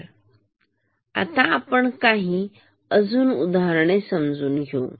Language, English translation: Marathi, So, now let us take some concrete example